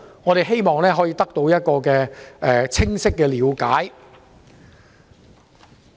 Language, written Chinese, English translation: Cantonese, 我們希望可以得到一個清晰的了解。, We hope that we can have a clear understanding of all these